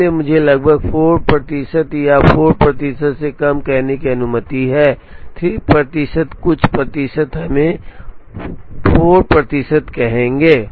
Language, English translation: Hindi, So, this is let me say approximately 4 percent or less than 4 percent, 3 point something percent we would say 4 percent